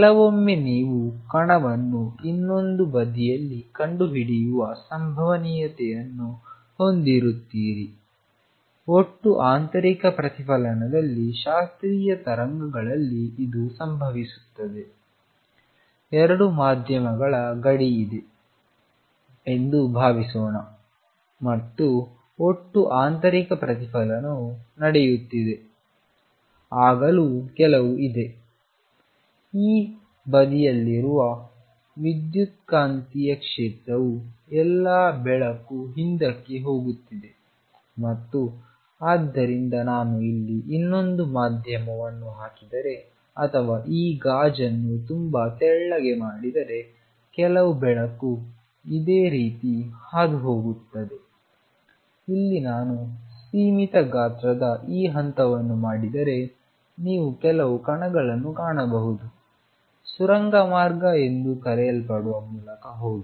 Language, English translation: Kannada, Sometimes you would have a probability of finding the particle on the other side, this is what happens in classical waves in total internal reflection in total internal reflection suppose there is a boundary of 2 media and total internal reflection is taking place even then there is some electromagnetic field on this side although all the light is going back and therefore, if I put another medium here or make this glass very thin some light goes through similarly here we will find if I make this step of finite size you will find the sum particles go through what is known as tunneling